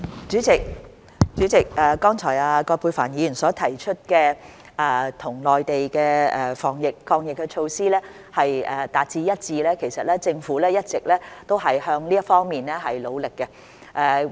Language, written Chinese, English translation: Cantonese, 主席，葛珮帆議員剛才提出香港與內地的防疫抗疫措施達致一致，其實政府一直也向這方面努力中。, President Ms Elizabeth QUAT just mentioned achieving consistency in the anti - epidemic measures between Hong Kong and the Mainland which in fact is the direction that the Government has been working towards